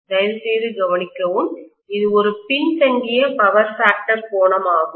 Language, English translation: Tamil, Please note, it is a lagging power factor angle